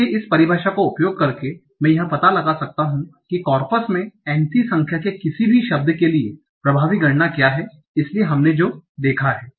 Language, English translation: Hindi, So by using this definition, I can find out what is the effective count for any word that has occurred any c number of times in the corpus